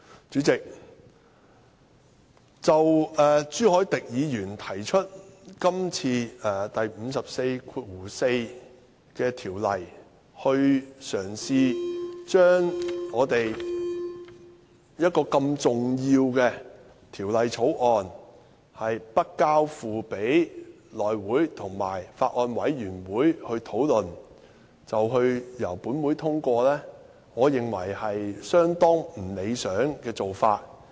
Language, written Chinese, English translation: Cantonese, 主席，就朱凱廸議員今次根據《議事規則》第544條提出的議案，嘗試將這項如此重要的《條例草案》不交付內務委員會及法案委員會處理，便由立法會通過，我認為是相當不理想的做法。, President I hold that it is rather undesirable for Mr CHU Hoi - dick to propose a motion under RoP 544 in an attempt to allow such an important Bill to be passed by the Legislative Council without it being referred to the House Committee and the Bills Committee